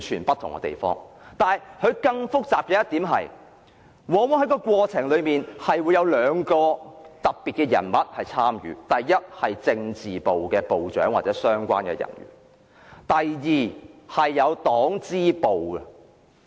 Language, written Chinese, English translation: Cantonese, 不過，更複雜的一點，是這過程往往有兩類特別人士參與：第一，是政治部部長或相關人員，以及第二，黨支部人員。, But a complication is that this process often sees the participation of two special types of people First ministers from political departments or relevant personnel; and second people from the Party branch